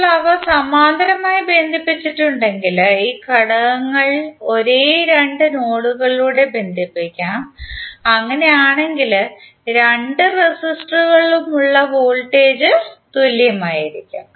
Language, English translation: Malayalam, Now if those are connected in parallel then this elements would be connected through the same two nodes and in that case the voltage across both of the resistors will be same